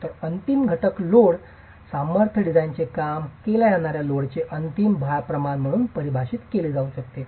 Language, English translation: Marathi, So, the load factor in the ultimate strength design can be defined as the ratio of the ultimate load to a working load